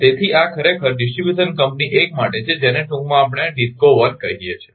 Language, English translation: Gujarati, So, this is actually for distribution company 1 which is short we call DISCO 1 right